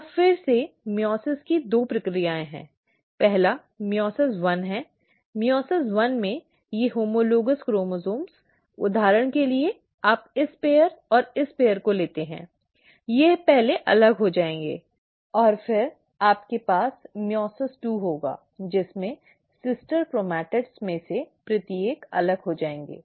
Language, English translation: Hindi, Now, so again meiosis has two processes; first is meiosis one; in meiosis one, these homologous chromosomes, for example you take this pair and this pair, they will first get separated and then you will have meiosis two, in which each of the sister chromatids will get separated